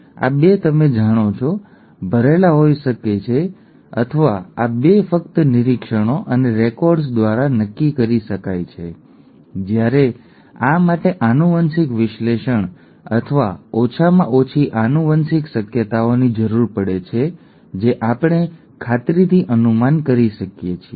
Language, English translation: Gujarati, These 2 can be you know, filled in or these 2 can be decided just by observations and records, whereas this requires a genetic analysis or a at least genetic possibilities which we can deduce with surety